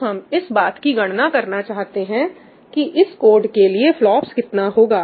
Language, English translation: Hindi, So, we want to calculate what is the FLOPS that I am getting for this code